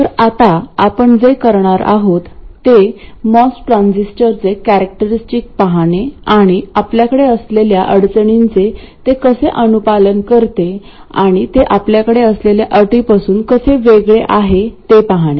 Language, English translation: Marathi, So what we are going to do now is to look at the characteristics of the most transistor and see how it conforms to the constraints we had and also how it deviates from the constraints we had